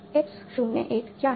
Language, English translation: Hindi, So, this is X 01